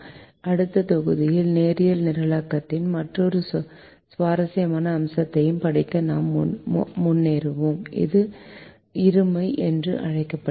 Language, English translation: Tamil, in the module we will move forward to study another interesting aspects of linear programming, which is called duality